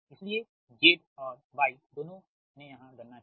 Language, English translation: Hindi, so z and y, both here computed